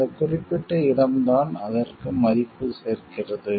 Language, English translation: Tamil, It is that particular location which is added value to it and worth to it